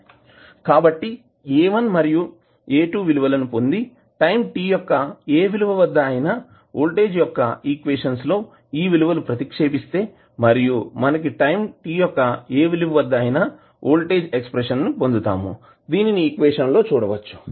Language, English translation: Telugu, So when you get the value of A1 and A2 you can put the values in the value for voltage at any time t and you get the expression for voltage at any time t, as shown in the equation